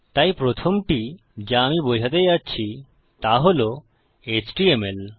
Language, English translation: Bengali, So the first one I am going to explain is this html